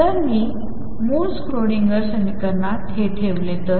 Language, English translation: Marathi, So, if I put this in the original Schrodinger equation